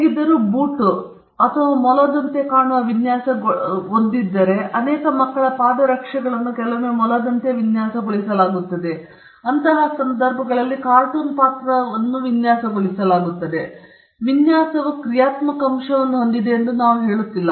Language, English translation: Kannada, Whereas, if a shoe is designed to look like a bunny or a rabbit, you know many children’s shoes are designed like a rabbit or like a character in a cartoon, in such cases, we do not say that design has a functional element